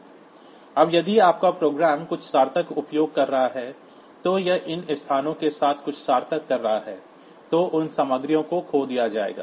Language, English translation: Hindi, Now, if your program is using something meaningful, so it is doing something meaningful with these locations then those contents will be lost